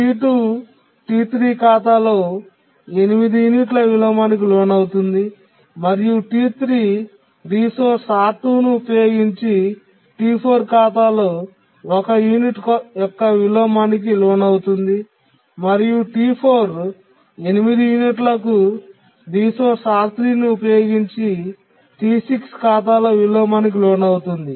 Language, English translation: Telugu, T2 can undergo inversion of 8 units on account of T3 and T3 can undergo inversion of one unit on accounts of T4 using the resource R2 and T4 can undergo inversion on account of T6 using the resource R3